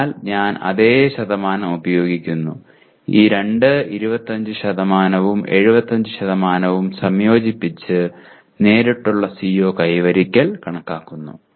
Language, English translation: Malayalam, So I use the same percentage and I combine these two 25% and 75% to compute the direct CO attainment